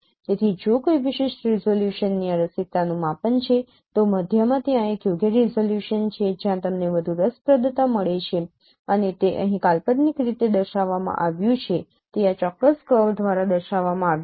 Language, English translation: Gujarati, So, the if there is any measure of this interestingness of a particular resolution then there is an appropriate resolution in the middle where you get more interestingness and that is what is shown here hypothetically it has been shown by this particular curve